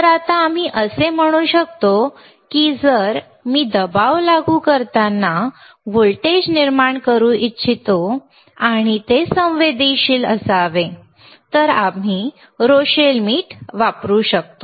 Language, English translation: Marathi, So, now, we can say that if I want to have if I want to generate a voltage when I apply pressure and and it should be sensitive, then we can use a Rochelle salt alright